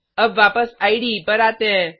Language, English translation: Hindi, Now let us come back to the IDE